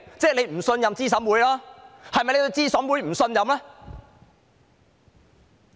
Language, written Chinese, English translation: Cantonese, 這等於不信任資審會，這是否對資審會不信任呢？, This is tantamount to not putting trust in CERC . Does it mean not trusting CERC?